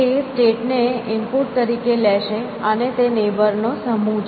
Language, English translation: Gujarati, It will take a state as an input and it term set of neighbors